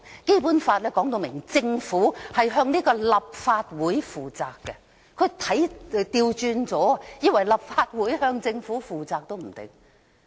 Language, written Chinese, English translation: Cantonese, 《基本法》說明政府須向立法會負責，可能他看錯了，以為是立法會須向政府負責。, While the Basic Law specifies that the Government shall be accountable to the Legislative Council he may wrongly think that the Legislative Council shall be accountable to the Government